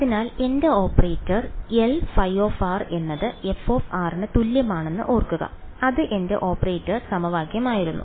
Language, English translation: Malayalam, So, remember my operator was L phi of r is equal to f of r that was my operator equation right